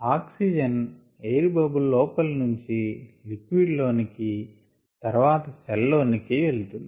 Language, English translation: Telugu, what happens is oxygen from inside the air bubble moves to the liquid and then moves to the cell